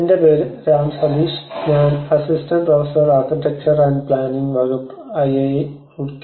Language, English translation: Malayalam, My name is Ram Sateesh, I am Assistant professor, Department of Architecture and planning, IIT Roorkee